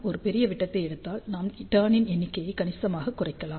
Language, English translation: Tamil, And by taking a larger diameter we can reduce the number of turns significantly